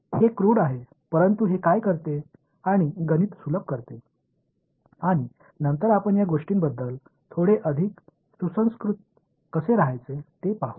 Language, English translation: Marathi, It is crude but what it does is it makes a math easy and later we will see how to get a little bit more sophisticated about these things